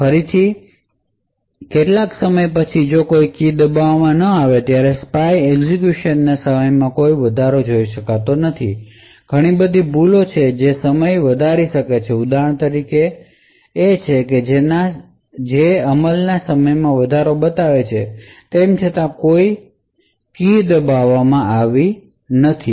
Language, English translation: Gujarati, Again after some time when there is no key pressed the spy does not see an increase in the execution time, there are of course a lot of errors which may also creep up like for example this over here which shows an increase in execution time even though no keys have been pressed